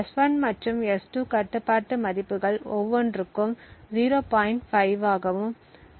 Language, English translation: Tamil, Note that S1 and S2 have control values of 0